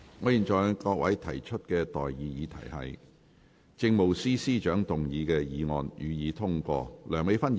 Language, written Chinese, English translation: Cantonese, 我現在向各位提出的待議議題是：政務司司長動議的議案，予以通過。, I now propose the question to you and that is That the motion moved by the Chief Secretary for Administration be passed